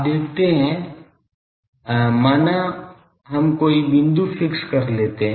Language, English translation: Hindi, You see suppose any point you fix